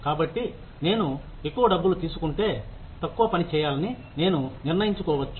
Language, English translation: Telugu, So, if I get paid more, then I may decide, to start working less